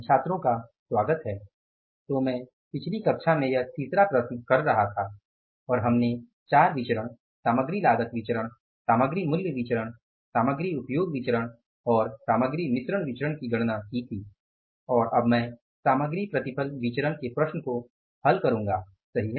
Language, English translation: Hindi, So, in the previous class I was doing this third problem and we had calculated four variances, material cost variance, material, price variance, material usage variance and material mix variance and now I will deal with the problem of material yield variance